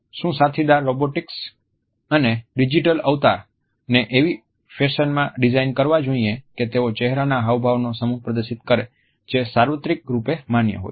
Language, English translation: Gujarati, Should companion robots and digital avatars be designed in such a fashion that they display a set of facial expressions that are universally recognized